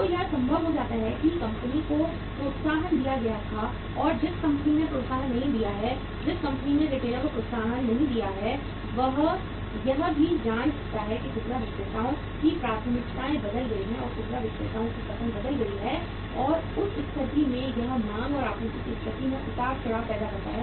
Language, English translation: Hindi, So it may be possible that the company was given the incentive and the company who has not given the incentive, the company who has not given the incentive to the retailer might not be knowing that the retailers preferences have changed and when the retailers preference is changed in that case it is sometime creating the fluctuation in the demand and supply situation